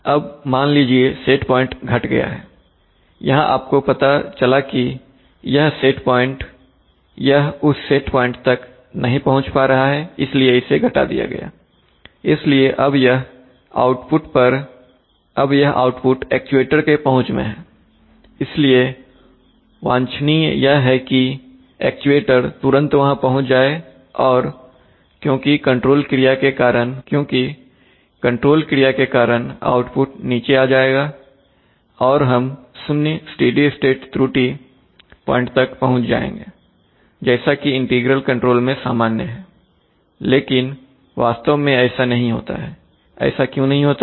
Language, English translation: Hindi, Now suppose the set point is reduced, here it is you have realized that it cannot reach that set point so it is reduced, so immediately now this output level, this output level is very much reachable by the actuator, so what is desirable is that the actuator will immediately, because by control action the output will come down and we will reach at zero steady state error point, as is common under integral control, but exactly that does not happen why it does not happen, now suppose that you have held this error you have not immediately reduced it